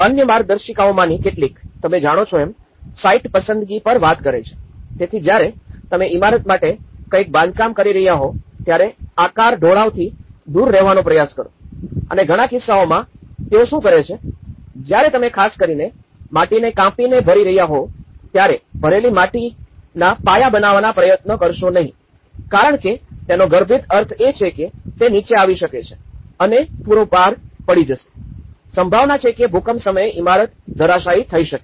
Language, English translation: Gujarati, Some of the other guidelines, which they talk on the site selection you know, so when you are constructing something for building try to avoid the sufficient away from the steep slopes okay and also in many cases what they do is; when you are cutting down and filling the soil especially, the filled up soil try not to make the foundations in this because that is going to have an implication that you know, it might come down and the whole load will collapse, there is a possibility that the building may collapse at the time of earthquake